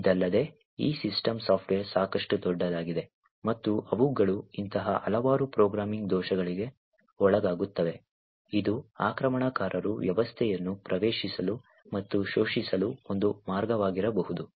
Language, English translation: Kannada, Further, these systems software are quite large, and they are susceptible to a lot of such programming bugs which could be a way that an attacker could enter and exploit the system